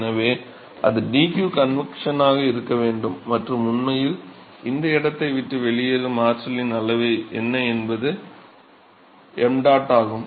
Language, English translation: Tamil, So, that should be dq convection plus what is the amount of energy that is actually leaving this place is location yeah m dot